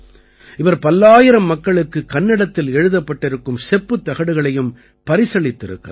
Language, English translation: Tamil, He has also presented brass plates written in Kannada to hundreds of people